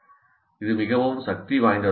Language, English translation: Tamil, This can be very powerful